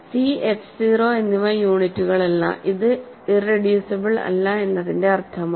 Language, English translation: Malayalam, So, c and f 0 are not units that is the meaning of not being irreducible